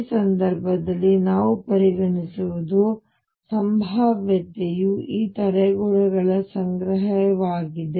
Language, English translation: Kannada, What we consider in this case is that the potential is a collection of these barriers